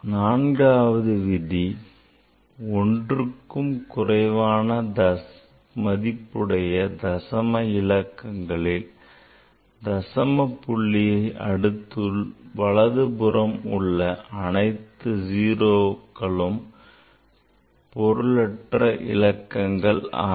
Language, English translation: Tamil, Fourth rule is in a digit less than one means in in decimal in after decimal all zeros to the right of the decimal point and to the left of a non zero digit are not significant